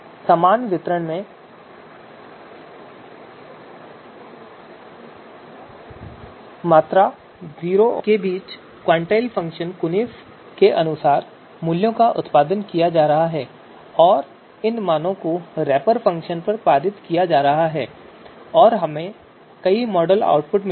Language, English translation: Hindi, You know uniform distribution between 0 to 1 the values are going to be produced as per the quantile function qunif and these values are going to be passed on to this wrapper function and we’ll get you know number of model output